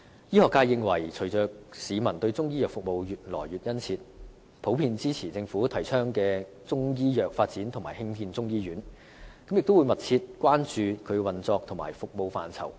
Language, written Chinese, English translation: Cantonese, 醫學界認為隨着市民對中醫藥服務需求越來越殷切，普遍也支持政府提倡的中醫藥發展及興建中醫院，亦會密切關注它的運作和服務範疇。, In view of the increasingly keen demand from the public for Chinese medicine services the medical profession generally supports the development of Chinese medicine and the construction of a Chinese medicine hospital advocated by the Government and will closely keep in view its operation and scope of service